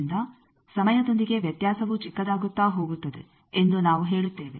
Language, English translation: Kannada, So, we say variation becomes smaller and smaller with time